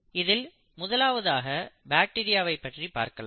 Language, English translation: Tamil, Let us look at bacteria first